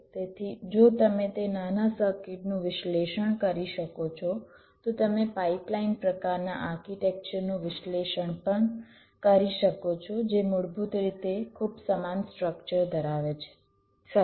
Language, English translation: Gujarati, so if you can analyse that small circuit, you can also analyse, flip analyse a pipeline kind of architecture which basically has a very similar structure